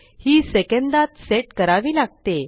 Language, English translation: Marathi, Now this needs to be set in seconds